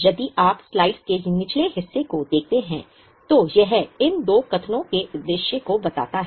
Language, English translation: Hindi, If you look at the bottom part of the slide, it is sort of trying to tell the purpose of these two statements